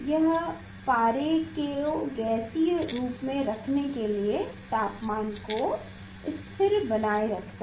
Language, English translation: Hindi, this is the temperature constant temperature for the mercury gas to keep mercury in gaseous form